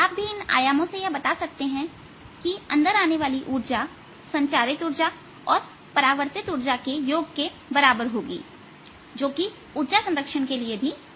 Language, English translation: Hindi, you can also show with these amplitudes that the energy coming in is equal to the energy reflected plus energy transmitted, which is required by energy conservation